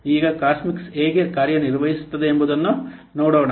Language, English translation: Kannada, Now let's see how Cosmix does work